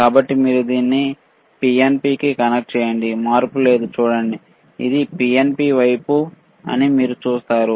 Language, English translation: Telugu, So, when you connect it to PNP, see, no change, you see this is PNP side